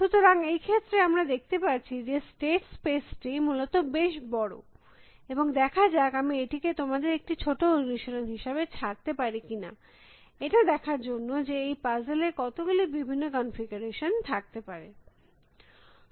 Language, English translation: Bengali, So, we can see the state space for this is quiet large essentially and whether I can leave it as the small exercise for you to see, how many possible different configuration there are to these puzzle